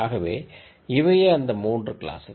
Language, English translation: Tamil, So, these are 3 classes